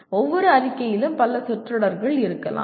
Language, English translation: Tamil, Each statement can have several phrases in that